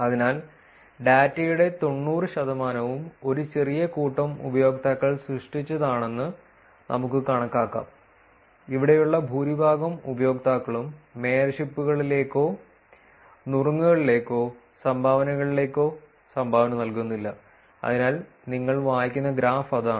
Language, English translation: Malayalam, So, let us take figure 90 percent of the data is getting generated by small set of users; majority of the users over here do not contribute to any of the mayorships, tips or dones, so that is the graph that you would read